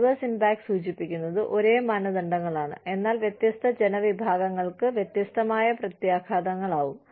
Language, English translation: Malayalam, Adverse impact indicates, same standards, but different consequences, for different groups of people